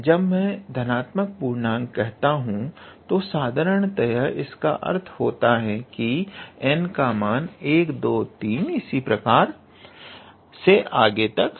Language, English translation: Hindi, So, when I say positive integer, it usually mean n is, so that n is 1, 2, 3 dot dot and so on